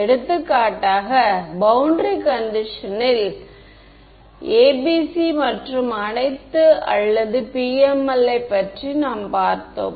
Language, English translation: Tamil, Boundary conditions we have seen for example, ABC and all or PML